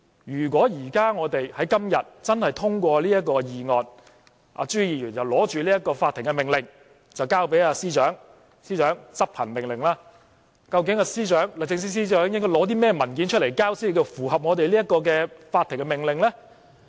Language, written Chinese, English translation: Cantonese, 如果我們今天真的通過這項議案，朱議員便拿着法庭命令交給律政司司長，要求司長執行命令，究竟司長應該提交甚麼文件，才能符合法庭的命令呢？, If we were to let this motion pass today Mr CHU would have something like a court order in his hand which he would give to the Secretary for Justice and demand that it be executed . What on earth are the documents the Secretary for Justice must hand over in order to comply with the court order?